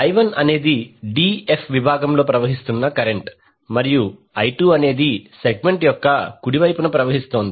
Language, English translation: Telugu, I1 is flowing in the d f segment and I2 is flowing in the right side of the segment